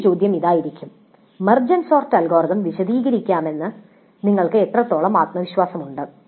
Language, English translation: Malayalam, Another question can be how confident you are that you can explain MedSort algorithm